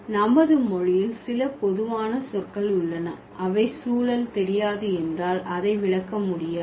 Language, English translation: Tamil, There are some very common words in our language that cannot be interpreted at all if we do not know the context